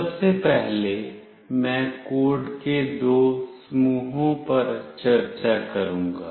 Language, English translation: Hindi, First of all, I will be discussing two sets of code